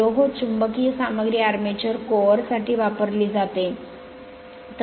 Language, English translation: Marathi, Iron being the magnetic material is used for armature core